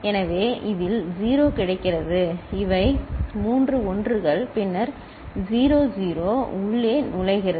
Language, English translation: Tamil, So, 0 gets in this these are three 1s, then 0 0 gets in